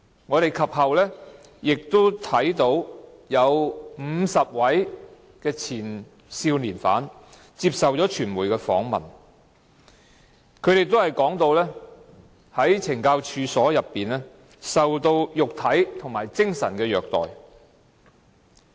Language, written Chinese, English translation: Cantonese, 我們及後亦看到有50位前少年犯接受傳媒訪問，他們都說在懲教所內受到肉體和精神虐待。, Later we also saw the news reports about 50 former young offenders who were interviewed by the media . All of them said that they had been abused physically and mentally in the correctional institutions